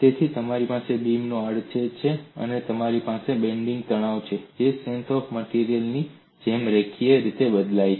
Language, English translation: Gujarati, So you have the cross section of the beam, and you have the bending stress which varies linearly as in strength of materials